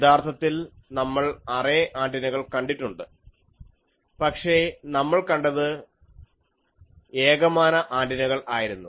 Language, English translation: Malayalam, Actually, we have seen array antennas, but we have seen only one dimensional antennas